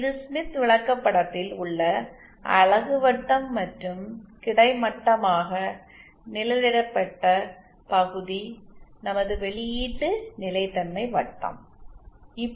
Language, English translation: Tamil, This is the unit circle in the smith chart and this horizontally shaded region is our output stability circle